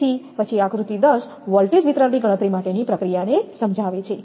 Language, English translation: Gujarati, So, then figure 10 illustrates the procedure for calculating the voltage distribution